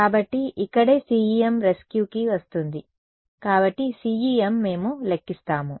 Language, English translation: Telugu, So, that is where CEM comes to the rescue right so, CEM we calculate J